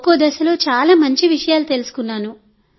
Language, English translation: Telugu, We have learnt very good things at each stage